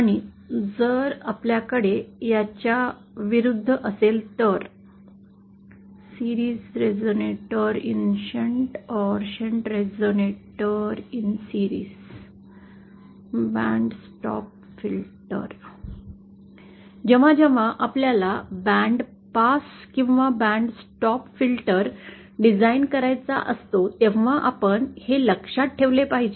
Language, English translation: Marathi, And if we have the converse, that is so whenever we want to design a band pass or band stop filter we have to keep this in mind